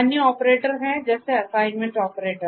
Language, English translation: Hindi, There are other operators, assignment operators